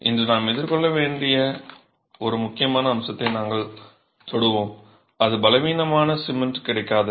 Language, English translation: Tamil, We will touch upon an important aspect that is something that we have to face today and that is the non availability of weak cement